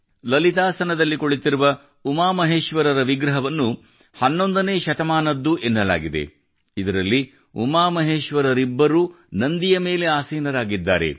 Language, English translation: Kannada, An idol of UmaMaheshwara in Lalitasan is said to be of the 11th century, in which both of them are seated on Nandi